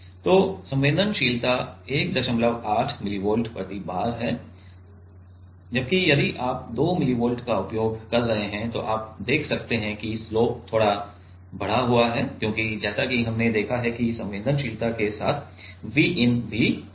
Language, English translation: Hindi, 8 millivolt per bar whereas, if you are using 2 millivolt then you can see that the slope is little bit increased because as we have seen that the in the sensitivity part V in also come